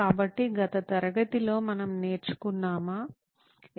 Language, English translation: Telugu, So last class we learnt about